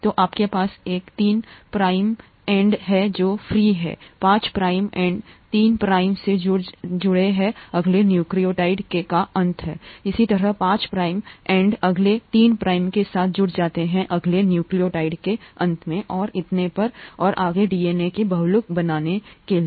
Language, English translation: Hindi, So you have one three prime end that is free, the five prime end attaches to the three prime end of the next nucleotide, similarly the five prime end attaches to the next, to the three prime end of the next nucleotide and so on and so forth to form the polymer of DNA